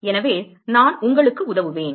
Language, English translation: Tamil, So, I will help you